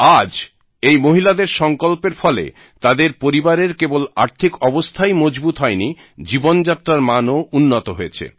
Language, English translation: Bengali, Today, due to the resolve of these women, not only the financial condition of their families have been fortified; their standard of living has also improved